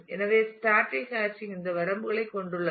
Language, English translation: Tamil, So, static hashing has these limitations